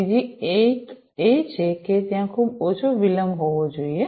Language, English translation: Gujarati, The third one is that there has to be very low latency